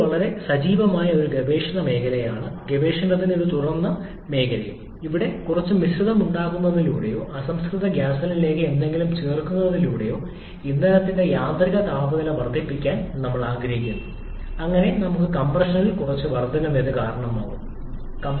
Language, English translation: Malayalam, This is a very active area of research and quite open area of research where we are looking to increase the autoignition temperature of the fuel by making some blend or by adding something to the raw gasoline and so that we can cause some increase in the compression ratio